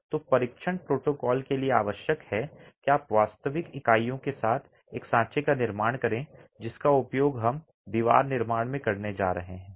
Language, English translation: Hindi, So, the test protocol requires that you create a mold with real units that you're going to be using in the wall construction